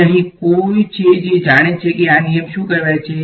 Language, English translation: Gujarati, And here is anyone who knows what this law is called